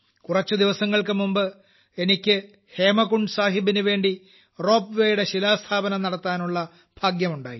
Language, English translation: Malayalam, A few days ago I also got the privilege of laying the foundation stone of the ropeway for Hemkund Sahib